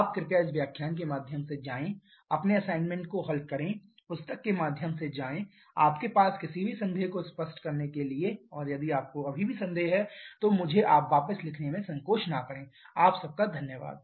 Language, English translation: Hindi, You please go through this lecture, solve your assignments, go through books, also to clarify any doubt you have and if you still have doubts, do not hesitate to write back to me, Thank you